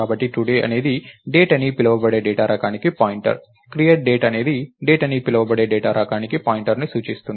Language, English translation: Telugu, So, today is a pointer to the data type called Date, create date in turn returns a pointer to data type called Date